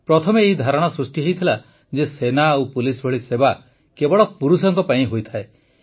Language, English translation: Odia, Earlier it was believed that services like army and police are meant only for men